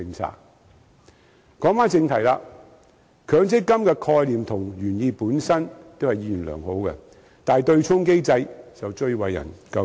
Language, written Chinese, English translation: Cantonese, 說回正題，強積金的概念和原意都是意願良好的，但其對沖機制則最為人詬病。, While MPF is well meaning in terms of both its concept and original intent it has been most criticized for its offsetting mechanism